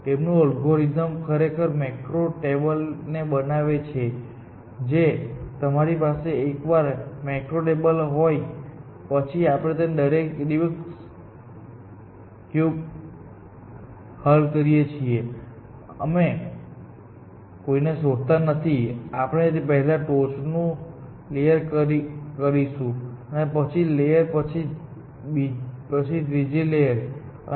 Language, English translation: Gujarati, His algorithm actually, built a macro table, which of course, once you have a macro table like, we saw all the Rubic cubes and we do not do any search; we say, ok, I will do the top layer first; then, I do the second layer and then, I will do the third layer